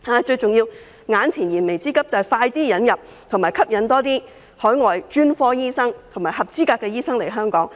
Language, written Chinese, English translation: Cantonese, 最重要是，為解決燃眉之急，要盡快引入和吸引更多海外專科醫生及合資格的醫生來港。, Most importantly to meet the urgent need it is necessary to admit and attract more overseas specialists and qualified doctors to Hong Kong as soon as possible